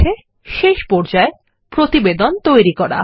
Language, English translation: Bengali, Okay, last step Create Report